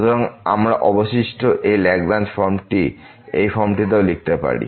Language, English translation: Bengali, So, we can we write this Lagrange form of the remainder in this form as well